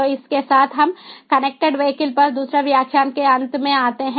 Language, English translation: Hindi, so with this we come to an end of the second lecture on connected vehicles